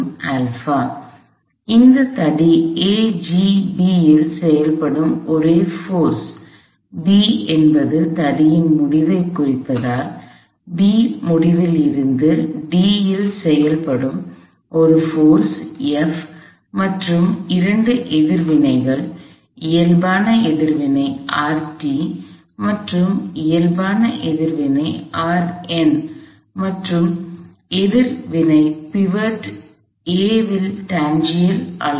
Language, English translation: Tamil, So, the only forces acting on this rod A G B, I denote the end of the rod is some B is a force F acting at a distance d from the end B and two reactions, the normal reaction R t and the normal reaction R n and the tangential reaction at the pivot A, which is magnitude R t